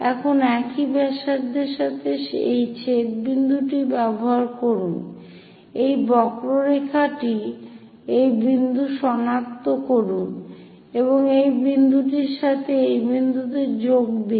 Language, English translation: Bengali, Now, use this intersection point with the same radius, intersect this curve locate this point and join this point with this one